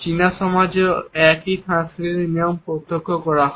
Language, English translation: Bengali, The same cultural norms are witnessed in the Chinese societies also